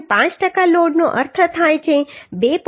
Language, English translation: Gujarati, 5 percent of load means 2